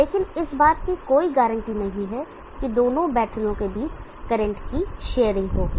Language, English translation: Hindi, But there is no guarantee that there will be sharing of current between the two batteries